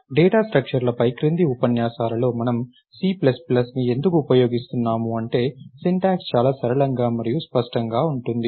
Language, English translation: Telugu, So, the reason why we are using c plus plus in the following lectures on data structures is that,the syntax becomes much simpler and cleaner